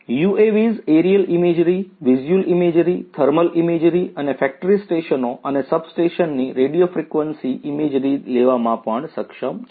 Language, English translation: Gujarati, UAVs are also capable of taking aerial imagery, visual imagery, thermal imagery, and also radio frequency imagery of factory stations and substations